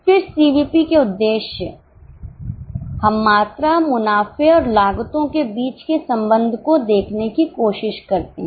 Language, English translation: Hindi, Then the objectives of CVP, we try to look at the interaction between volumes, profits and the costs